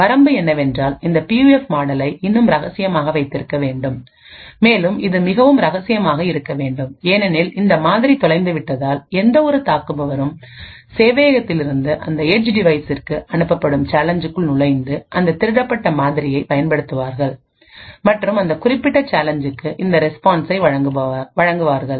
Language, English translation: Tamil, The limitation is that this PUF model still has to be kept secret and it has to be extremely secret because of this model is lost then any attacker could snoop into the challenge that is sent from the server to that edge device, use that model which it has just stolen and provide the response was that particular challenge